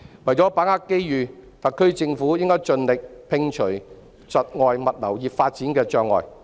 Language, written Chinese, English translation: Cantonese, 為把握機遇，特區政府應盡力摒除窒礙物流業發展的障礙。, To seize the opportunities the SAR Government should strive to remove obstacles impeding the growth of the logistics industry